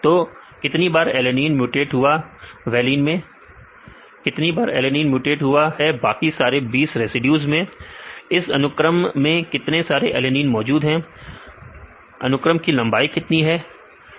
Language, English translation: Hindi, So, how many times alanine is mutated to valine, how many times alanine is mutated to all the other residues 20 residues, how many alanine present in the sequence, what is the length of the sequence